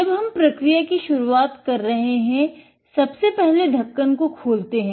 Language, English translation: Hindi, When we are starting a process, open the lid